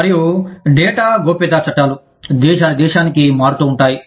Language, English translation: Telugu, And, the data privacy laws, could vary from, country to country